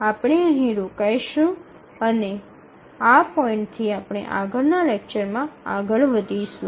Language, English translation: Gujarati, We will stop here and we will continue the next lecture at from this point